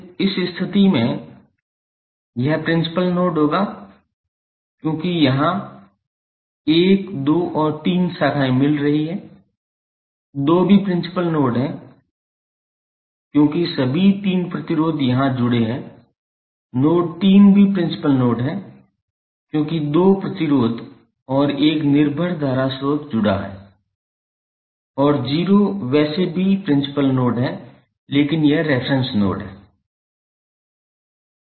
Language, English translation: Hindi, In this case this would be principal node because here 1, 2 and 3 branches are joining, 2 is also principal node because all three resistances are connected here, node 3 is also principal node because two resistances and 1 dependent current source is connected and 0 is anyway principal node but this is reference node